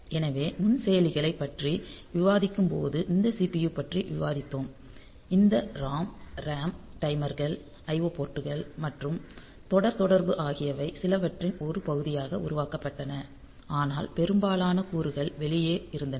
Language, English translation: Tamil, So, when we are discussing about the microprocessors actually we discussed about this CPU only assuming this that this ROM RAM timers the IO ports and serial communication was also made part of the few, but most of the components are outside, but in case of micro controller all of them are together